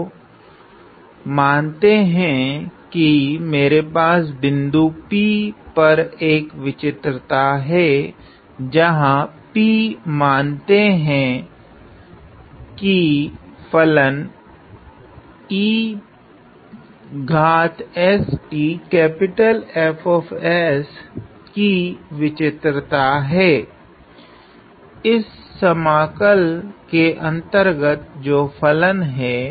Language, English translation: Hindi, So, let us say I have a singularity at a point P, where P is a let us say a singularity of the function e to the power s F s; the function inside this integral